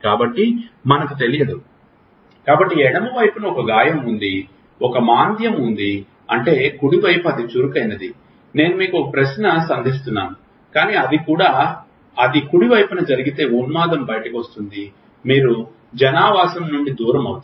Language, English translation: Telugu, So, we do not know, so is it that on the left side there is a lesion, there is a depression, that means, the right side is overactive I am just throwing you a question, but if it happens on the right side then the mania comes out you become dis inhabited